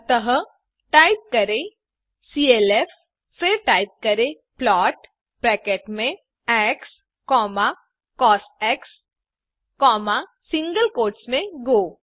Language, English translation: Hindi, So ,type clf() then type plot within brackets x,cos, within single quotes go